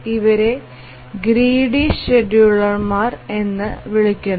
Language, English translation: Malayalam, That is why these are called as a gritty class of schedulers